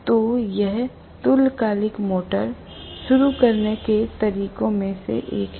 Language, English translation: Hindi, So this is one of the methods of starting the synchronous motor